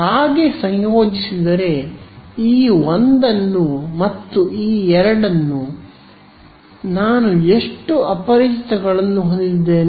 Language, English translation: Kannada, If I combine so, combine this 1 and this 2, how many unknowns do I have